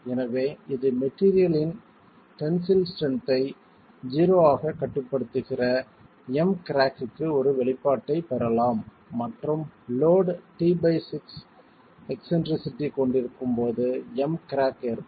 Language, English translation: Tamil, Therefore, we can get an expression for M crack limiting the tensile strength of the material to 0 and saying that m crack is going to occur when the load has an eccentricity E by 6